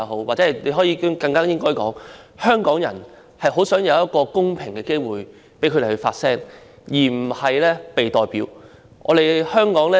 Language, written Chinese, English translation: Cantonese, 或者我更應該說，香港人很想有一個公平機會讓他們自己發聲，而不是"被代表"發聲。, Or rather I should say Hong Kong people are eager to have a fair opportunity to express their own views instead of being represented for their views